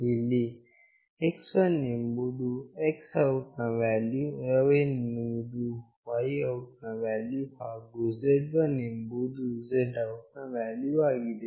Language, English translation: Kannada, Here x1 is the X OUT value, y1 is the Y OUT value, and z1 is the Z OUT value